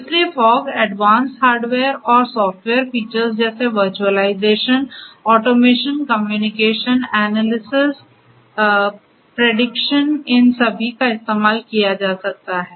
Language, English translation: Hindi, So, using fog advanced hardware and software features such as virtualization, automation, communication, analysis, prediction, all of these can be done